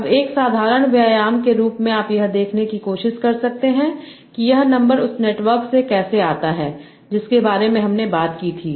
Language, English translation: Hindi, Now, as a simple exercise, you can also try to see how this number comes from the network that we talked about